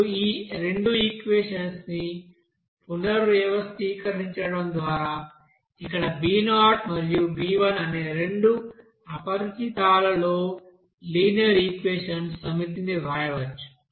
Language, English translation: Telugu, Now rearrangement of these two equations, we can write a set of linear equations in two unknowns, here b0 and b1